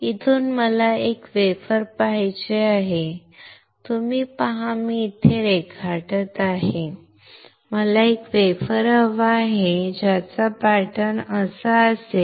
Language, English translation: Marathi, From here what I want is a wafer, you see here I am drawing, I want a wafer which will have pattern like this